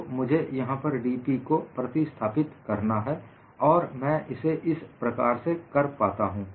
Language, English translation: Hindi, So, I will have to replace this dP and that I get from this